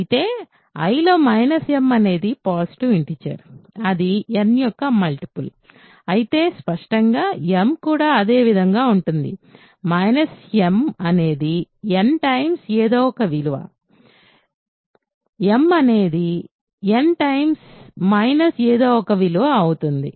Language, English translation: Telugu, But, then so, is right minus m being a positive integer in I is a multiple of n, but hence obviously, m is also because minus m is n times something m is n times minus of that thing